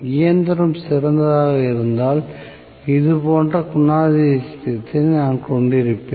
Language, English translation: Tamil, If the machine had been ideal, I would have had the characteristic somewhat like this